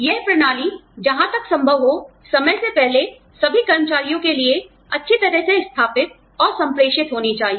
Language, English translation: Hindi, The system must be, well established and communicated, to all employees, as far ahead of time, as possible